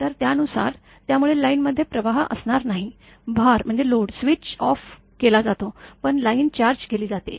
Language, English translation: Marathi, So, according to that; so line there will be no current flowing, because the load is switched off, but line is charged